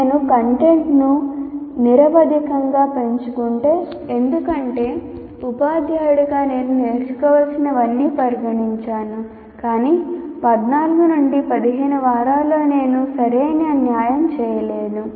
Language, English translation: Telugu, If I increase the content indefinitely because as a teacher I consider all that should be learned, but I will not be able to do a proper justice during the 14 to 15 weeks